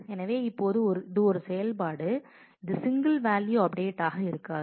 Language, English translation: Tamil, So, now, it is an operation it may not be an a single value update